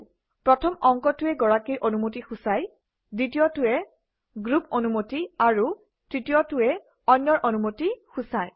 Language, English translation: Assamese, The first digit stands for owner permission, the second stands for group permission, and the third stands for others permission